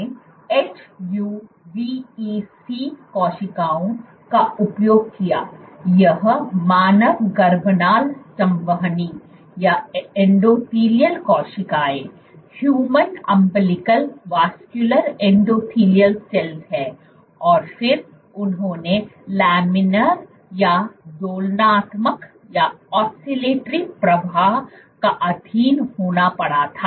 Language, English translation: Hindi, What they found was they used HUVEC cells, this is human umbilical vascular endothelial cells and then they subjected to Laminar or Oscillatory flow